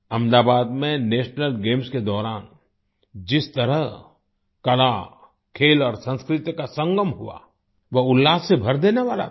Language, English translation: Hindi, The way art, sports and culture came together during the National Games in Ahmedabad, it filled all with joy